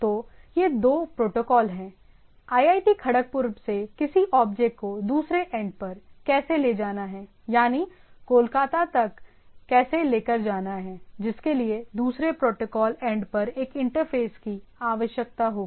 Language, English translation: Hindi, So, that is a that two protocols, how to carry something from IIT Kharagpur to something say Kolkata is, there is a interface for the protocol end